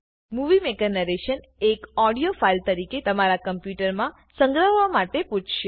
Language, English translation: Gujarati, Movie Maker will ask you to save the narration as an audio file on your computer